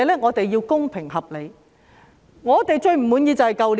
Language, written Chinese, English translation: Cantonese, 我們要公平、合理評價他們的表現。, We must evaluate their performance fairly and reasonably